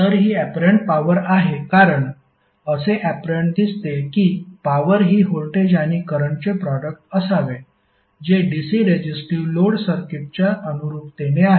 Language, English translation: Marathi, So it is apparent power because it seems apparent that the power should be the voltage current product which is by analogy with the DC resistive circuit